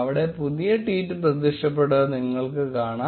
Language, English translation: Malayalam, You will notice that the new tweet has appeared